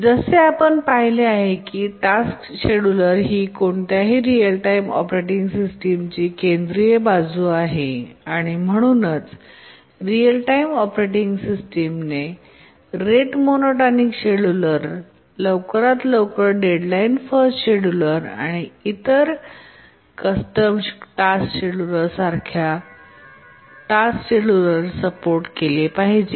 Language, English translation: Marathi, The task scheduling support, it's seen the task scheduler is a central aspect of any real time operating system, and therefore the real time operating system should support task schedulers like rate monotonic scheduler, earliest deadline first scheduler, and other custom task schedulers